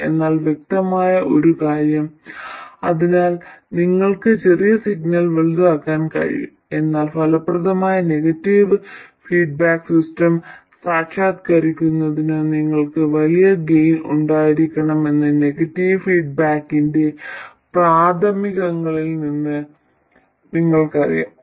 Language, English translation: Malayalam, Now one obvious thing is so that you can make a small signal large but you also know from preliminaries of negative feedback that you have to have a large gain in order to realize an effective negative feedback system okay so large gains are very useful so that's what we will try to do okay